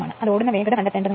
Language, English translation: Malayalam, You have to find out what is the speed right